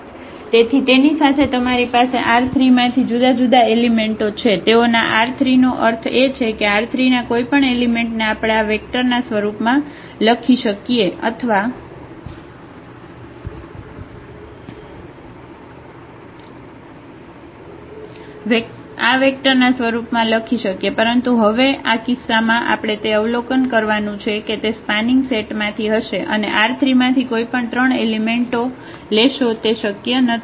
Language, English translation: Gujarati, So, with these though they have the three different elements from R 3, they span; they span R 3 means any element of R 3 we can write down in terms of these vectors or in terms of these vectors, but now in this case what we will observe that this is not possible that you take any three elements from R 3 and that will form this spanning set